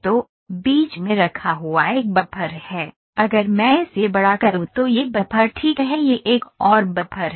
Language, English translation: Hindi, So, there is a their buffers kept in between, if I enlarge it this is buffer, this is another buffer